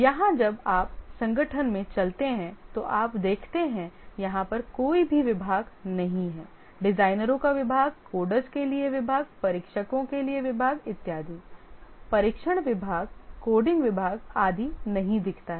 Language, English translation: Hindi, Here when you walk into the organization, you don't see the departments, the department of designers, department for coders, department for testers, and so on, the testing department, coding department, and so on